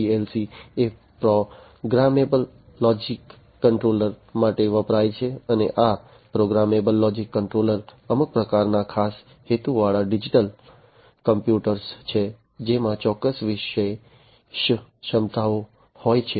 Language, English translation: Gujarati, PLC stands for Programmable Logic Controller and these programmable logic controllers are some kind of special purpose digital computers that have certain special capabilities